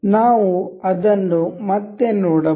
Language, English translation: Kannada, We can see it again